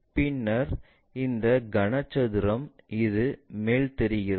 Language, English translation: Tamil, Then, this cone ah this cube really looks like this one